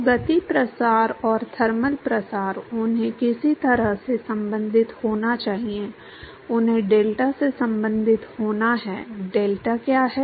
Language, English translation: Hindi, So, the momentum diffusion and the thermal diffusion, they have to somehow be related to; they have to be related to the delta, what is delta